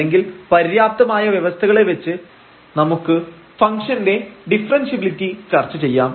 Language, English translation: Malayalam, Or using the sufficient conditions also we can discuss the differentiability of a function